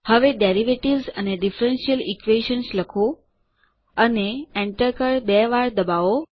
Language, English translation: Gujarati, Now type Derivatives and Differential Equations: and press the Enter key twice